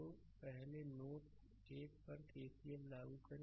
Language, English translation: Hindi, So, first you apply KCL at node 1